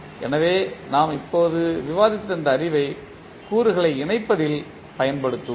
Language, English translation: Tamil, So, this knowledge we just discussed, we will utilized in connecting the components